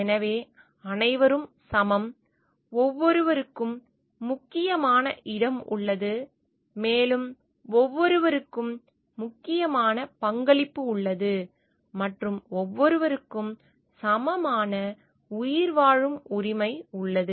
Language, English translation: Tamil, So, all are equal and each has it is important place, and each has it is important contribution and each has an equal right of survival also